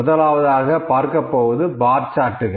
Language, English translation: Tamil, Number, first plot is the bar charts